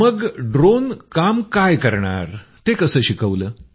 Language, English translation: Marathi, Then what work would the drone do, how was that taught